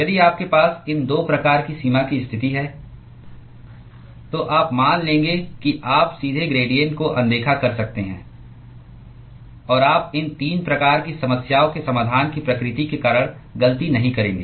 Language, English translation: Hindi, If you have these 2 types of boundary condition then, you would assume you can directly ignore the gradients; and you would not make a mistake because of the nature of the solution that we will get for these 3 types of problem